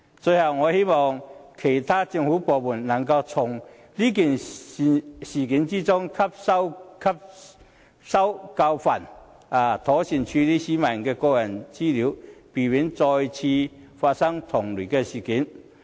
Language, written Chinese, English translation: Cantonese, 最後，我希望其他政府部門能夠從事件中汲取教訓，妥善處理市民的個人資料，避免再次發生同類事件。, Finally I hope other government departments can draw a lesson from this incident and duly handle the peoples personal data so as to avoid the occurrence of similar events